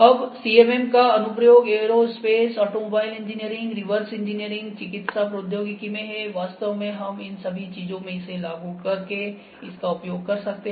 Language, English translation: Hindi, Now, application of the CMM is in aerospace, automobile engineering, reverse engineering, medical technology, we can this actually applied in all these things